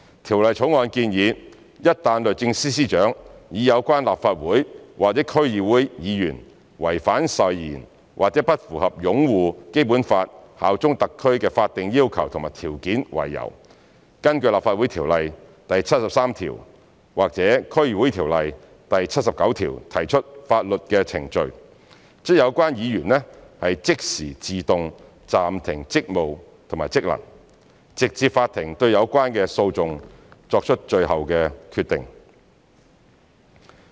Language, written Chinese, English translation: Cantonese, 《條例草案》建議，一旦律政司司長以有關立法會或區議會議員違反誓言或不符合"擁護《基本法》、效忠香港特區"的法定要求和條件為由，根據《立法會條例》第73條或《區議會條例》第79條提出法律程序，則有關議員即時自動暫停職務和職能，直至法庭對有關的訴訟作出最後決定。, The Bill proposes that once the Secretary for Justice SJ brings proceedings in accordance with Article 73 of the Legislative Council Ordinance or Article 79 of the District Councils Ordinance for reasons that the Legislative Council Member or DC member concerned has breached the oath or failed to comply with the statutory requirements and conditions of upholding the Basic Law and bearing allegiance to HKSAR the functions and duties of the person concerned will be immediately suspended automatically until the court has the final decision on the proceedings